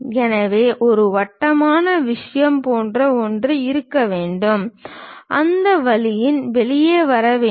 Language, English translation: Tamil, So, there must be something like a circular thing, supposed to come out in that way